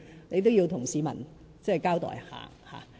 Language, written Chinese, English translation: Cantonese, 你也應向市民交代一下。, He owes an explanation to the public here